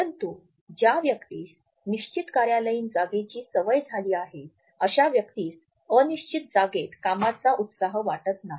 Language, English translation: Marathi, But a person who has been used to a fixed office space may not feel the same level of work enthusiasm in a non fixed space